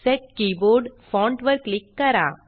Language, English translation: Marathi, Click Set Keyboard Font